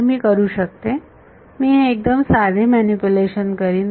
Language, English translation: Marathi, So, I can, I will this is a fairly simple manipulation